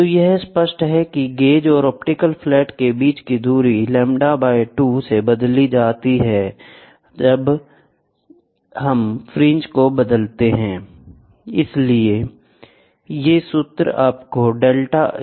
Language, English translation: Hindi, So, it is clear the distance between the gauge and the optical flat changes by lambda 2, by adjusting fringes